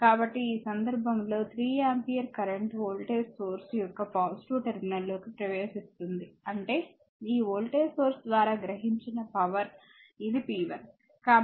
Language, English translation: Telugu, So, in this case 3 ampere current entering into the your what you call positive terminal of this voltage source so; that means, power absorbed by this voltage source this is p 1